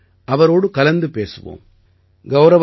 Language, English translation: Tamil, Come, let's talk to him